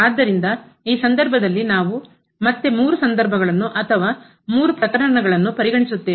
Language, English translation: Kannada, So, in this case we will consider three situations or three cases again